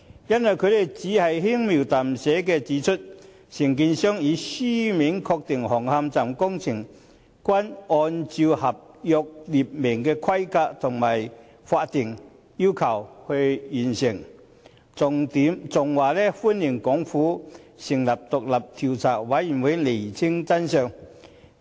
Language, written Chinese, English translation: Cantonese, 原因是他們只是輕描淡寫地指出，承建商已書面確認，紅磡站工程均按照合約列明的規格及法定要求完成，還表示歡迎港府成立獨立調查委員會釐清真相。, The reason is that they indicated lightly that the contractor had confirmed in writing that the works at Hung Hom Station had been undertaken in accordance with the specifications of the contract and statutory requirements and that they welcomed the Hong Kong Governments establishment of an independent Commission of Inquiry to ascertain the truths